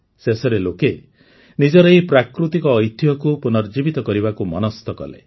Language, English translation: Odia, Eventually, people decided to revive this natural heritage of theirs